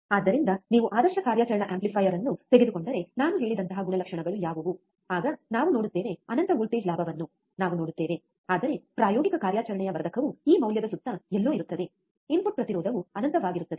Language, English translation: Kannada, So, what are those characteristics like I said if you take a ideal operational amplifier, then you have infinite of voltage gain we will see, but practical operation amplifier it would be somewhere around this value, in input impedance is infinite